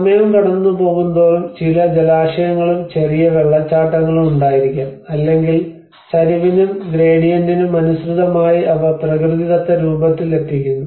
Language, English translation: Malayalam, \ \ \ And as the time passed on obviously there has been some water bodies, small waterfalls or they keep channeling it as per the slope and the gradient which has been a natural form